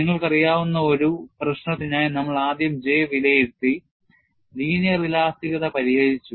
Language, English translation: Malayalam, We have first evaluated J for a known problem, which you had solved in the linear elasticity